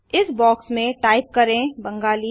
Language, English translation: Hindi, Inside this box lets type Bengali